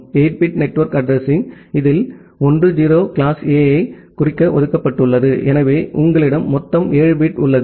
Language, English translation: Tamil, And 8 bit of network address out of which 1 0 was reserved for denoting class A, so you have a total of 7 bit